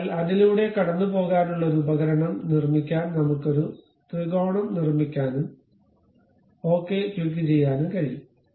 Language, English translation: Malayalam, So, that I can really construct a triangle make a tool to pass through that and click ok